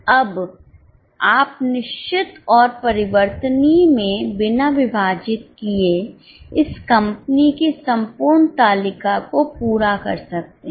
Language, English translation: Hindi, Okay, now you can also complete this table for whole of the company without breaking into fixed and variable